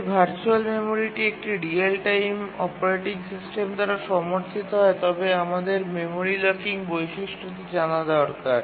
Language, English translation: Bengali, If virtual memory is supported by a real time operating system then we need the memory locking feature